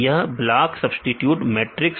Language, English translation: Hindi, This blocks substituted matrix right